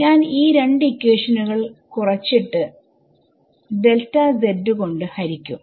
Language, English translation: Malayalam, Subtract these two equations